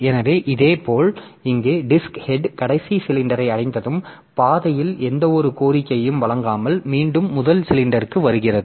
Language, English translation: Tamil, So, similarly here the disk head once it reaches the last cylinder then it comes back to the first cylinder without servicing any request on the path